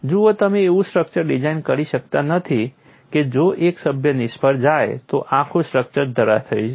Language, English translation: Gujarati, See you cannot design a structure that if one member fails the whole structure collapse